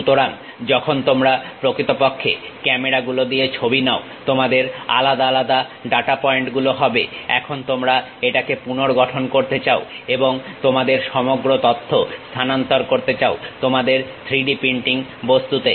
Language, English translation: Bengali, So, when you are actually taking pictures through cameras, you will be having isolated data points now you want to reconstruct it and transfer that entire data to your 3D printing object